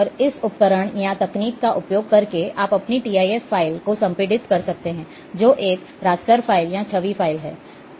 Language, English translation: Hindi, And using this tool, or technique, you can compress your TIF file, which is a raster file, or image file